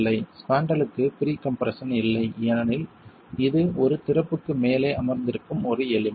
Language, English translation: Tamil, The spandrel does not have pre compression because it is an element that is sitting above an opening